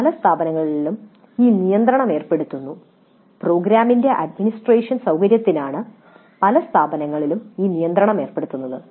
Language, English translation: Malayalam, Many institutes impose this restriction and that is from the convenience of administration of the program